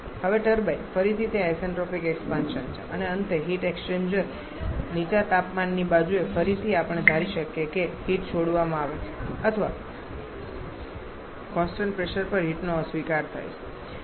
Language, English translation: Gujarati, Now turbine again it is isentropic expansion and finally the heat exchanger low temperature side again we can assume that to be heat release or heat rejection at constant pressure